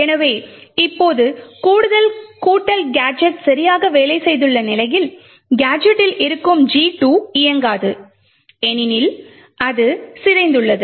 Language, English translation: Tamil, So now we see that while the add addition gadget has worked properly the gadget 2 present in the stack will not execute because it has got corrupted